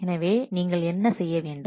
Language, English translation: Tamil, So what to do